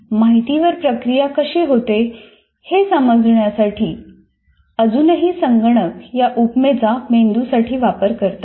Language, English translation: Marathi, People still use the computer metaphor to explain how the information is being processed